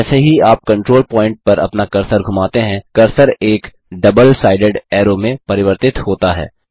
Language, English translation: Hindi, As you hover your cursor over the control point, the cursor changes to a double sided arrow